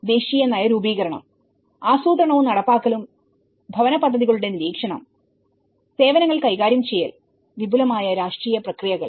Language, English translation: Malayalam, The national policy making, the planning and implementation, monitoring of housing projects and the managing of the services and wider political processes